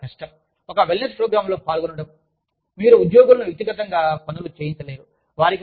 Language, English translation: Telugu, It is very difficult, to engage in a wellness program, where you expect employees, to do things, individually